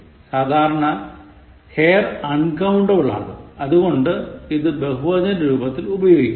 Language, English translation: Malayalam, Hair is normally uncountable, so it is not used in the plural